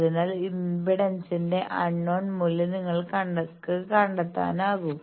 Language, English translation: Malayalam, So, you can find out the unknown value of the impedance